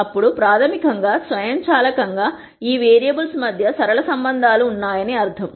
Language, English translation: Telugu, Then that basically automatically means that there are really linear relationships between these variables